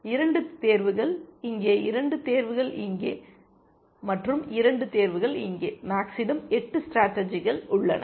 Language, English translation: Tamil, 2 here, choices here, 2 choices here, and 2 choices here so, max has 8 strategies available to that and as an